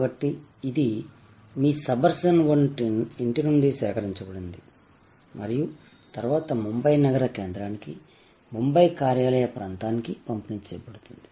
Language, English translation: Telugu, So, it is collected from your suburban home and then, delivered to the city center of Mumbai, the office area of Mumbai